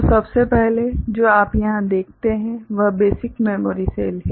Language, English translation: Hindi, So, this is the basic memory cell